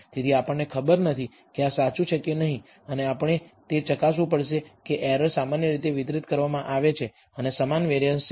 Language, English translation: Gujarati, So, we do not know whether this is true and we have to verify whether the errors are normally distributed and have equal variance